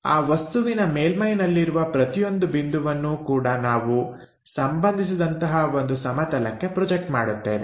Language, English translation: Kannada, So, each point on that surface of the object we are going to project it onto a reference plane